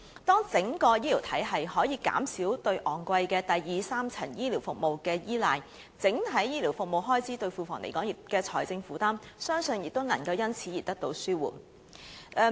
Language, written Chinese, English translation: Cantonese, 當整個醫療體系可以減少對昂貴的第二、三層醫療服務的依賴，整體醫療服務開支對庫房所帶來的財政負擔，相信亦能因而得到紓緩。, When the entire health care system can rely less on the expensive secondary and tertiary health care services the financial burden of the overall health care expenditures on the Treasury I believe can thus be relieved too